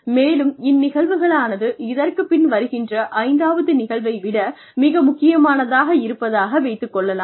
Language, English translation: Tamil, And say, this incident was more important, more significant than say, the fifth incident, that took place after this